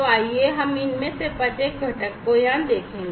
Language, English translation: Hindi, So, let us look at each of these components over here